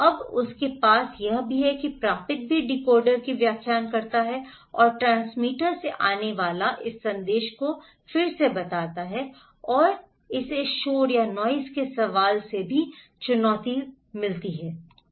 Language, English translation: Hindi, Now, he also has, the receiver also interpret decode and recode this message coming from the transmitter and it is also challenged by the question of noise